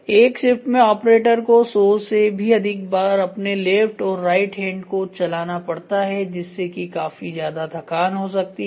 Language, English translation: Hindi, So, in a shift close to 100 times the operator has two move his left and right arm so, which is going to be too expensive in terms of fatigue